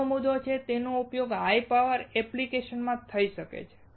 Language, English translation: Gujarati, Second point is, it can be used in higher power applications